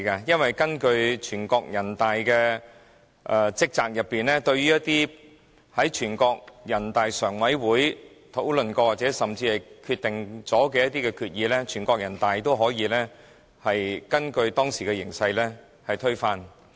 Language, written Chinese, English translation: Cantonese, 因為根據人大常委會的職責，對於一些在人大常委會討論過，甚至已經決定的決議，人大常委會都可以根據當時的形勢推翻。, It is because according to the responsibilities of NPCSC no matter what has been discussed or even whatever decisions have been made by NPCSC NPCSC may overrule them according to the actual situation